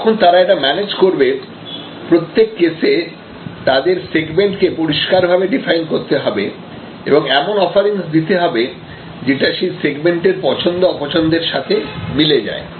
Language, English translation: Bengali, And when they are managing it, in each case they will have to very clearly define their segments and their offerings which match that segments, likes and dislikes